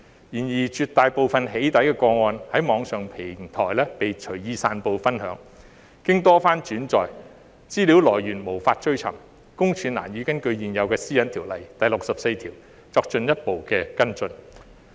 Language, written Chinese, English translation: Cantonese, 然而，在絕大部分"起底"個案中，資料在網上平台被隨意散布分享，經多番轉載，來源無法追尋，私隱公署難以根據現有《私隱條例》第64條作進一步跟進。, However in the vast majority of doxxing cases the data is dispensed and shared freely on online platforms . As the data has been reposted repeatedly the source is untraceable making it difficult for PCPD to take further follow - up actions under section 64 of the existing PDPO